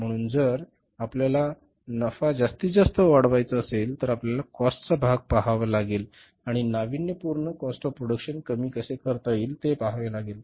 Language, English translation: Marathi, So, if you want to maximize your profits, you will have to look at the cost part and how to innovatively reduce the cost of production that is done by preparing the cost sheet